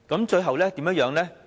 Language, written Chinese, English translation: Cantonese, 最後怎樣呢？, What happened in the end?